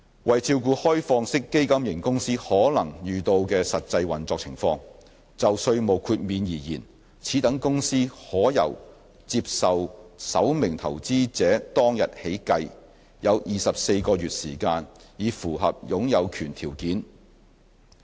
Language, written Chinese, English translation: Cantonese, 為照顧開放式基金型公司可能遇到的實際運作情況，就稅務豁免而言，此等公司可以由接受首名投資者當日起計，有24個月時間以符合擁有權條件。, To cater for the actual operation circumstances that an OFC may encounter in respect of tax exemption an OFC can have a maximum of 24 months to meet the non - closely held condition